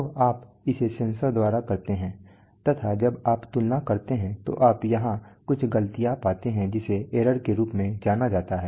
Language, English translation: Hindi, So right, so that you do by the sensor then when you compare you get here, you get what is known as the error